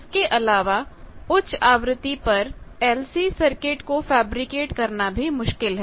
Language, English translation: Hindi, Also in this high frequency circuits fabricating this LC they are also difficult